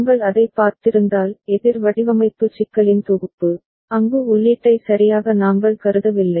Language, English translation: Tamil, If we have seen that synthesis of counter design problem, there we did not consider the input right